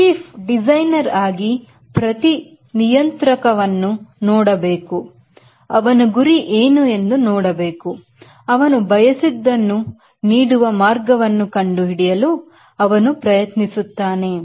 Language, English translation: Kannada, so the designers, chief designer has to look every parameter and see what it is goal and we try to find out that path which gives him what is desired